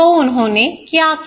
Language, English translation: Hindi, So, what did they do